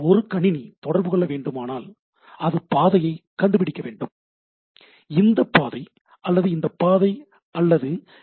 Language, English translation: Tamil, So, one computer here wants to communicate to here, it needs to find the path; either this path or this path or this path